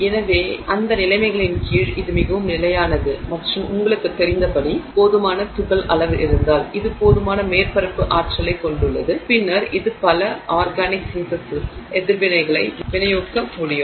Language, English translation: Tamil, So, it is quite stable and it is able to catalyze a number of organic reactions under those conditions it's quite stable and at you know if fine enough particle size it has enough surface energy that it is able to catalyze a number of organic synthesis reactions